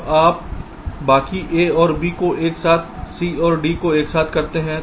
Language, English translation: Hindi, ok, now you use the rest, a and b together, c and d together